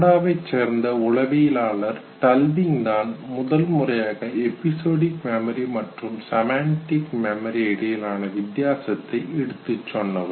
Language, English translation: Tamil, Canadian psychologist, Tulving was the first to make the distinction between episodic memory and semantic memory